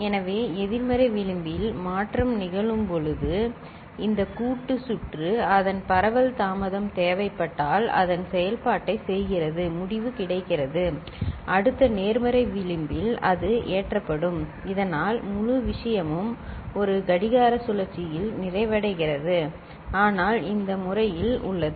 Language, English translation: Tamil, So, when shift happens at the negative edge right after that this combinatorial circuit does its operation with whatever propagation delay is required, result is available, next positive edge it gets loaded so that the whole thing gets completed in one clock cycle itself ok, but it is in this manner